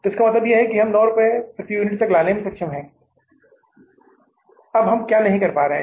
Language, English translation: Hindi, So it means we are also able to bring it down to nine rupees per unit